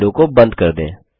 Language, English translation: Hindi, Let us close this window